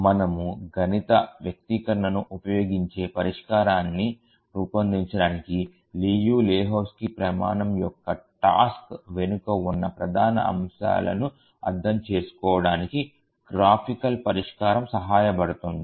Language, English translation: Telugu, The graphical solution helps us understand how the Liu Lejutski's criterion works, the main concepts behind the Liu Lehuski's criterion, but really work out the solution we'll use the mathematical expression